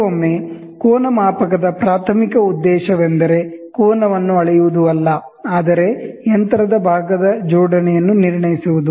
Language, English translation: Kannada, Sometimes, the primary objective of an angle measurement is not to measure angle, but to assess the alignment of a machine part